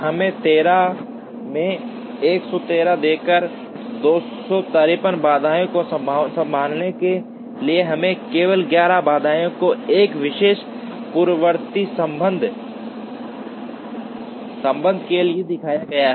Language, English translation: Hindi, Giving us 13 into 11, 143 constraints to handle this, we are just shown the 11 constraints for one particular precedence relationship